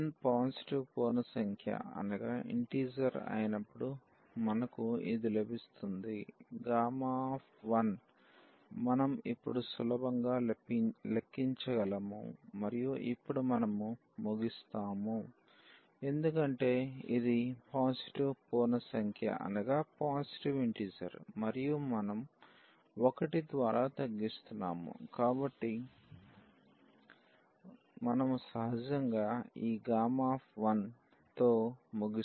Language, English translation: Telugu, So, we will get this when n is a positive integer the simplification we will get that the gamma 1 we can easily compute now and now we will end up with because this was a positive integer and we are just reducing by 1, so, we will end up with this gamma 1 naturally